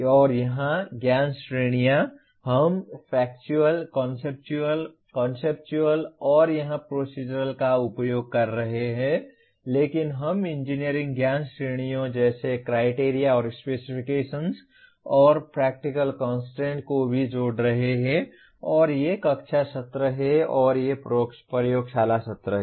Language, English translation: Hindi, And knowledge categories here we are using Factual, Conceptual, Conceptual and here Procedural but we are also adding the engineering knowledge categories like Criteria and Specifications and Practical Constraints and these are the classroom sessions and these are the laboratory sessions